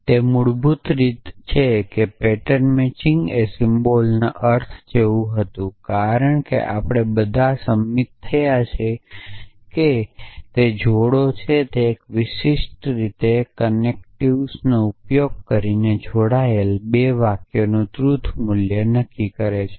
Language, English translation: Gujarati, So, it is basically pattern matching were as the semantics of the symbol as we have all agreed is that it combines it determines a truth value of 2 sentences combine using this connective by in a specific manner